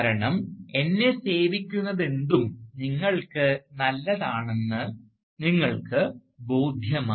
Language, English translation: Malayalam, Because, you have become convinced that whatever serves me, is also good for you